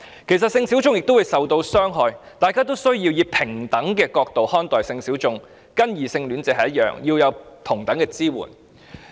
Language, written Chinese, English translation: Cantonese, 其實，性小眾也會受到傷害，大家應以平等角度看待性小眾，給予跟異性戀者一樣的支援。, Sexual minorities may also get hurt and they should be treated equally and be provided with the same support as heterosexual persons